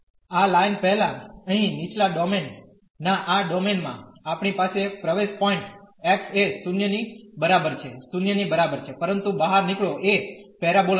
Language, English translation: Gujarati, Before this line so, in this domain in the lower domain here, we have the entry point exactly at x is equal to 0, but the exit is the parabola